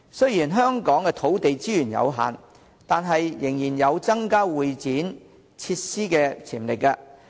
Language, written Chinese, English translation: Cantonese, 雖然香港土地資源有限，但仍然有增加會展設施的潛力。, Despite limited land resources in Hong Kong we still have potential to increase convention and exhibition facilities